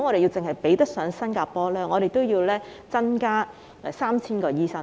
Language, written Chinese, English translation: Cantonese, 如果要比得上新加坡，香港便要增加 3,000 名醫生。, If Hong Kong has to catch up with Singapore we have to increase the number of doctors by 3 000